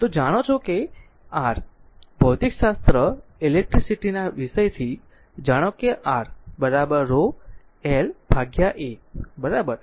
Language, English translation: Gujarati, So, we know that from your physics electricity subject, we know that R is equal to rho into l by A, right